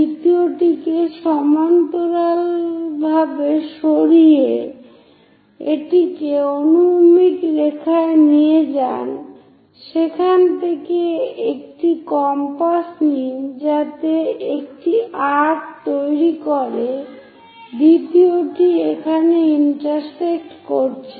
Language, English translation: Bengali, So, move parallel to 2 make it on to horizontal line from there take a compass make an arc on to second one is intersecting here call that one P2 prime